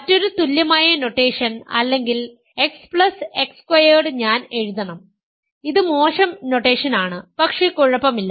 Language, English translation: Malayalam, Another equivalent notation is or X mod sorry X plus X squared I should write, this is bad notation, but ok